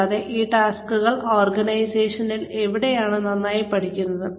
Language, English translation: Malayalam, And, where these tasks are best learnt in the organization